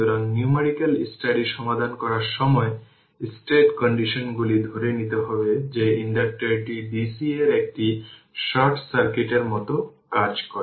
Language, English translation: Bengali, So, when will solve numerical study state condition we have to assume that inductor acts like a short circuit to dc